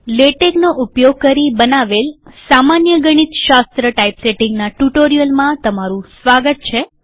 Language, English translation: Gujarati, Welcome to this tutorial on basic mathematics typesetting using Latex